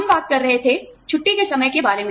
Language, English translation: Hindi, We were talking about, some time off